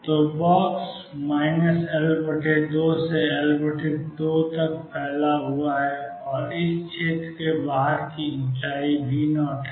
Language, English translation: Hindi, So, the box extends from minus L by 2 to L by 2 and the height outside this region is V 0